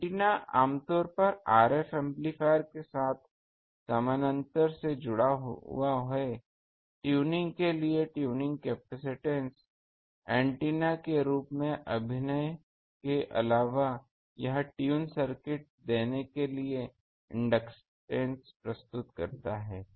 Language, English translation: Hindi, The antenna is usually connected in parallel with RF amplifier tuning capacitance a for tuning; in addition to acting as antenna it furnishes the inductance to give tune circuit